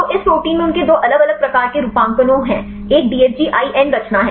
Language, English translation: Hindi, So, this protein they have two different types of motifs; one is the DFG IN conformation